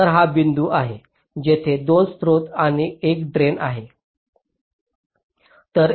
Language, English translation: Marathi, so this is the point where the two source and the drains, are connecting